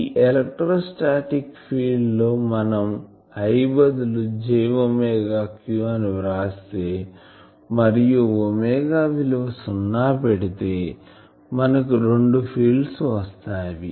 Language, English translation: Telugu, So, here in this electrostatic field you instead of I you write the j omega q and that omega you puts to 0 you will see will get these two fields